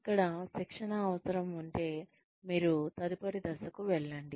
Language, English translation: Telugu, So here, if the training need exists, then you move on to the next step